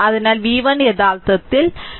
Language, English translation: Malayalam, So, v 1 actually v 1 actually is equal to v